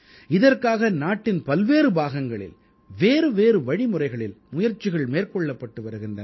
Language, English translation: Tamil, For this, efforts are being made in different parts of the country, in diverse ways